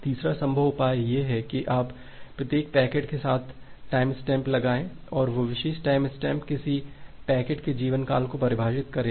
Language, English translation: Hindi, The third possible solution is you put a timestamp with each packet and that particular timestamp will define the lifetime of a packet